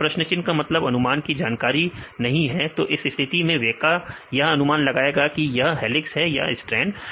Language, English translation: Hindi, Now question mark means the prediction is unknown; so in this case the weka will be predict this helix or strand